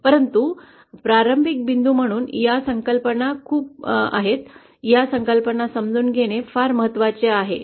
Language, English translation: Marathi, But as a starting point these concepts are very, it is very important to understand, this concepts